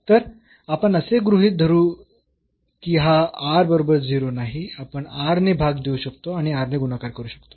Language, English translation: Marathi, So, let us assume this r not equal to 0 we can divide by r and multiplied by r